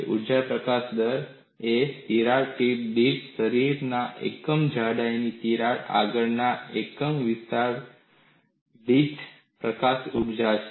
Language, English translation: Gujarati, Energy release rate is energy released per unit extension of crack front per unit thickness of the body per crack tip